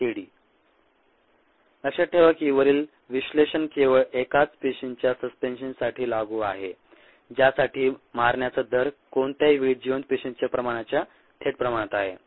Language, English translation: Marathi, recall that the above analysis is applicable only to a suspension of single cells for which the rate of kill is directly proportional to the viable cell concentration at any given time